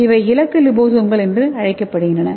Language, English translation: Tamil, That is called as targeted liposomes